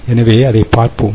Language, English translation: Tamil, so we will look at that